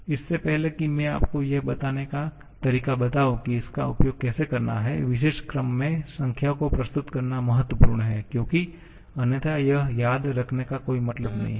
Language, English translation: Hindi, Before I am going to tell you how to use this, it is important to present the numbers in the particular order that is shown because otherwise there is no point remembering this